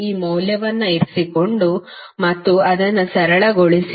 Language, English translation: Kannada, You just put the value and simplify it